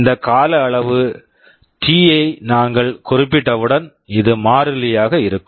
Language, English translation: Tamil, Once we specify this time period T, this will be kept constant